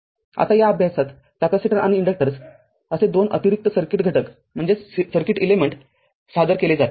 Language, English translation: Marathi, So, in this chapter we shall introduce that two additional circuit elements that is your capacitors and inductors right